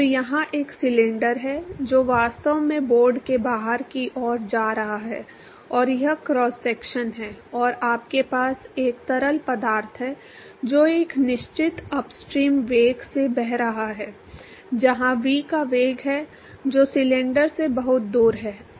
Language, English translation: Hindi, So, here is a cylinder which is actually going inside to outside of the board and this is the cross section and you have a fluid which is flowing at a certain upstream velocity where V is the velocity which is very far away from the cylinder